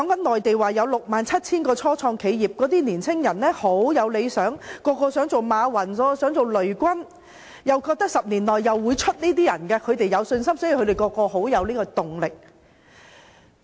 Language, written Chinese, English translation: Cantonese, 內地有 67,000 家初創企業，內地的年輕人十分有理想，人人想當馬雲和雷軍，而且有信心10年後能出人頭地，所以他們都充滿動力。, There are 67 000 start - up enterprises in the Mainland . Young Mainlanders are very ambitious and they all want to become MA Yun and LEI Jun . They are also confident that they will rise to eminence in 10 years time and so they are highly motivated